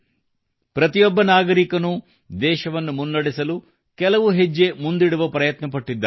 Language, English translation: Kannada, Every citizen has tried to take a few steps forward in advancing the country